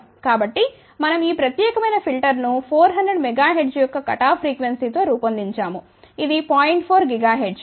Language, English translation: Telugu, So, we had design this particular filter with a cut off frequency of 400 megahertz which is 0